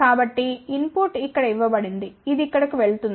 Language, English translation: Telugu, So, input is given here, it goes over here